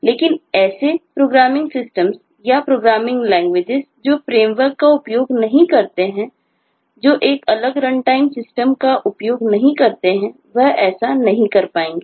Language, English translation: Hindi, but systems which do not ha, or the programming system or the programming languages which do not use a framework, that is, do not use a separate runtime system, would not be able to do this